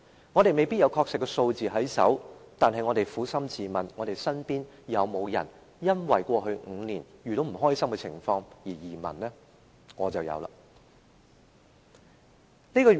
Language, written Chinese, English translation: Cantonese, 我們手邊未必有確實數字，但我們撫心自問，身邊有沒有人因為在過去5年遇到不開心的情況而移民呢？, We may not have the exact figures in hand but frankly do we know anyone who emigrated because he had come across unhappy circumstances in the past five years?